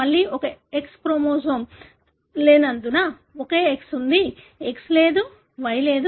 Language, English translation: Telugu, Again, because of absence of one sex chromosome, there is only one X; there is no X or Y